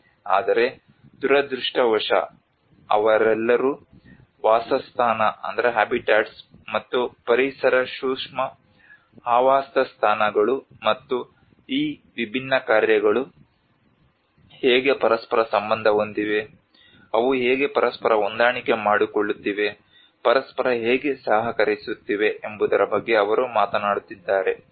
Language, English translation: Kannada, But unfortunately they are all talking about habitat and Eco sensitive habitats and how they are interrelating how these different missions are interrelated to each other, how they are coordinating with each other, how they are cooperating with each other